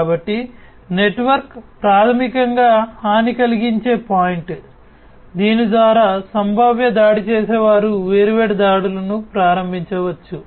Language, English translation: Telugu, So, network, basically is a vulnerable point through which potential attackers can get in and launch different attacks